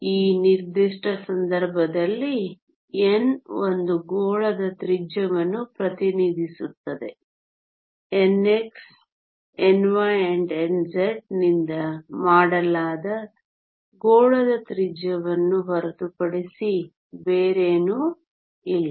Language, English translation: Kannada, In this particular case, n represents the radius of a sphere, nothing but the radius of a sphere which is made up of n x, n y and n z